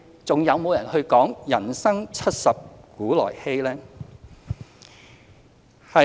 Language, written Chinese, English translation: Cantonese, 還有人會說"人生七十古來稀"嗎？, Will people still say that it is rare for one to live up to 70 years?